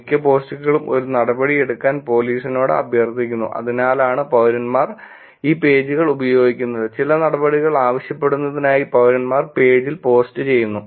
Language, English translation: Malayalam, Most posts request the police to a take action, which is why probably citizens are using these pages, which is citizens post on the page for asking some action